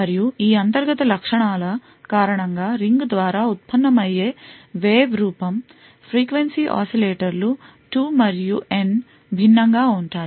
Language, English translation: Telugu, And because of these intrinsic properties the frequency of the waveform generated by the ring oscillators 2 and N would be different